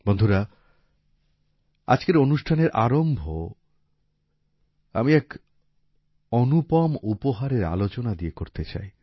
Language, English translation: Bengali, Friends, I want to start today's program referring to a unique gift